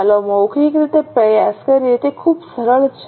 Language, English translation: Gujarati, Okay, let us try orally, it is very simple